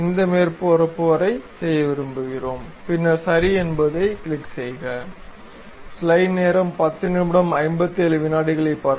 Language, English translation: Tamil, Up to this surface we would like to have, then click ok